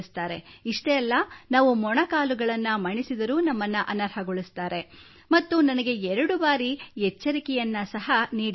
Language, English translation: Kannada, Or even if we bend our knees, they expel us and I was even given a warning twice